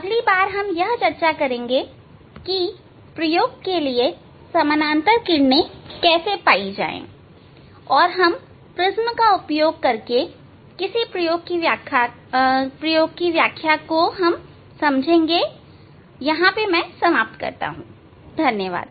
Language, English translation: Hindi, in next we will discuss about the how to get the parallel rays for the experiment and we will demonstrate some experiment using the prism